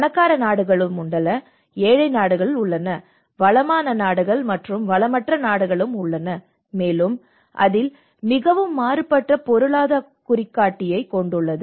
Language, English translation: Tamil, There are rich countries, there are poor countries, there are resourceful countries, the resourceless countries and that have actually as a very diverse economic indicators into it